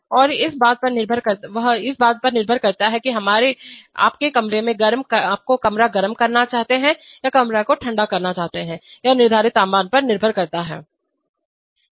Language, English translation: Hindi, And depending on, whether you want to heat the room or cool the room, that is depending on the set temperature